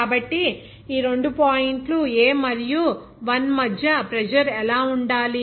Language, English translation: Telugu, So, what should be the pressure between these two points A and 1